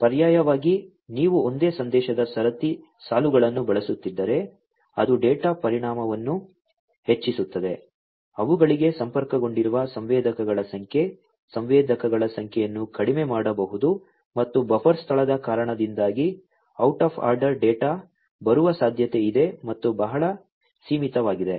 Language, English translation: Kannada, Alternatively, if you are using single message queues, that increases the data volume, the number of sensors that are connected to them, the number of sensors could be reduced, and it is also possible that out of order data will come because the buffer space is very limited